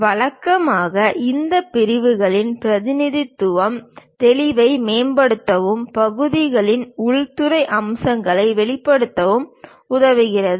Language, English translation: Tamil, Usually this sections representation helps us to improve clarity and reveal interior features of the parts